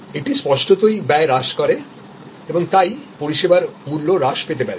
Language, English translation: Bengali, It obviously, also in reduces cost and therefore, may be the service price will be reduced